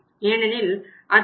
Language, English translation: Tamil, 2 because we have taken out 2